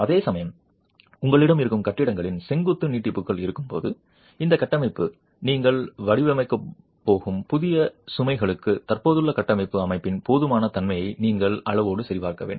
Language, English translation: Tamil, Whereas when you have vertical extensions of existing buildings, then you would have to check quantitatively the adequacy of the existing structural system for the new loads that you are going to design the structure for